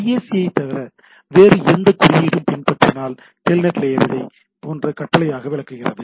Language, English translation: Tamil, If IAC is followed by any other code, the TELNET layer interprets this as a command like